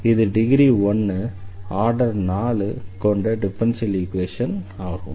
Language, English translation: Tamil, So, this is the first degree, but the 4th order differential equation